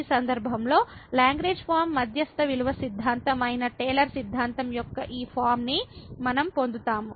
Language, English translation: Telugu, And in this case we get this form of the Taylor’s theorem which was which was the Lagrange form mean value theorem